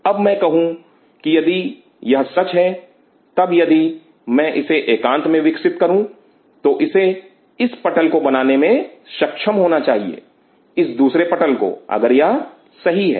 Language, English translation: Hindi, Now I say well if this is true, then if I grow this in isolation it should be able to form this roof second roof if this is true